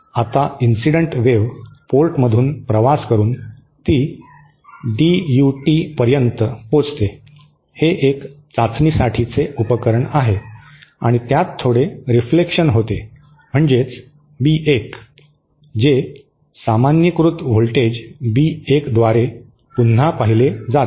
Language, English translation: Marathi, Now, after the incident wave travels to the through port and it reaches the DUT, that is the device under test and that it undergoes some reflection which is B1 which is revisited by the normalised voltage B1